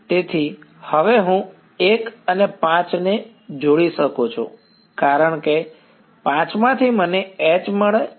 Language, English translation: Gujarati, So, now I can combine 1 and 5 because from 5 I get a relation for H correct